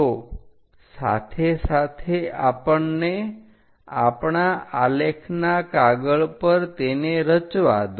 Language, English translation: Gujarati, So, parallelly let us construct it on our graph sheet